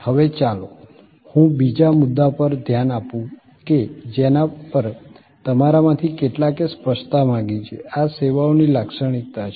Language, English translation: Gujarati, Now, let me look at the other point on which some of you have ask for clarification, these are characterization of services